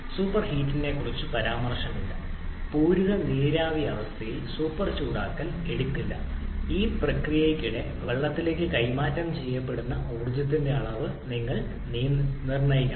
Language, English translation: Malayalam, So final state is that of a vapor which is g no mention about super heating, super heating shall be taken in the saturated vapor state you have to determine the amount of energy transferred to the water during the process